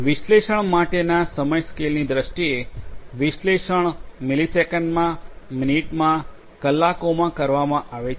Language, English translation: Gujarati, In terms of the time scales for analytics; analytics will have to be performed in milliseconds, in minutes, in hours